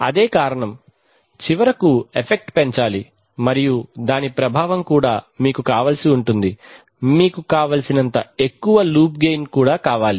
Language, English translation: Telugu, That is the cause, must finally increase the effect and the effect should also increase the cause for that what you need is that you have a high enough loop gain